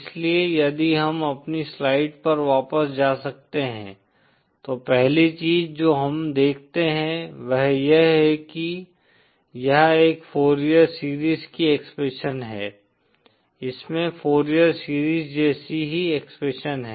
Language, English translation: Hindi, So if we can go back to our slide, first thing that we see is that, this is the expression of a Fourier series, this has the same expression as the Fourier series